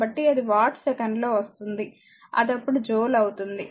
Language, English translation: Telugu, So, this much of watt second and joule per second is equal to watt